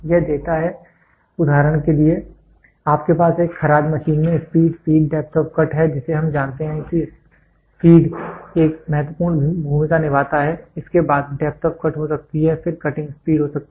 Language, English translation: Hindi, It gives for example, you have speed, feed, depth of cut in a lathe machine we know feed plays an important role followed by may be a depth of cut may then followed by cutting speed